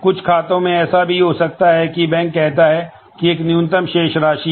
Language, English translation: Hindi, In some banks it could be that the bank says that well there is a minimum balance